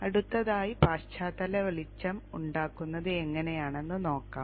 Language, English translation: Malayalam, Next we would like to make the background light